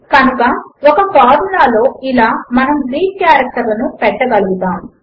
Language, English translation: Telugu, So this is how we can introduce Greek characters in a formula